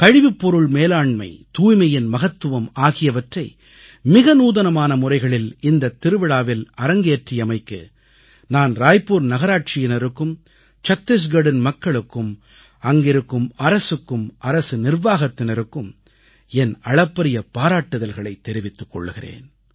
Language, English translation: Tamil, For the innovative manner in which importance of waste management and cleanliness were displayed in this festival, I congratulate the people of Raipur Municipal Corporation, the entire populace of Chhattisgarh, its government and administration